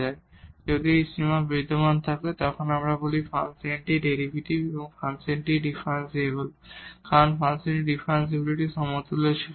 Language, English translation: Bengali, So, if this limit exists we call that the function has derivative or the function is differentiable because that was equivalent to the differentiability of the function